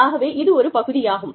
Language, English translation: Tamil, So, that is one part